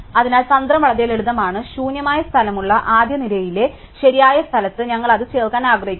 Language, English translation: Malayalam, So, strategy is very simple we want to insert it in the correct place in the first row that has free space